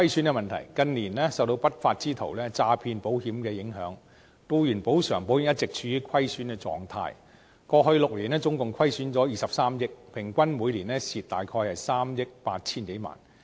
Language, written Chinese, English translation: Cantonese, 近年有不法之徒詐騙保險，以致僱員補償保險一直處於虧損的狀態，過去6年總共虧損了23億元，平均每年虧損約3億 8,000 多萬元。, Due to cases of fraud by unruly elements for insurance compensation in recent years insurance companies have been operating employees compensation insurance at a loss . A loss of 2.3 billion in total has been recorded in the past six years around 380 million per annum on average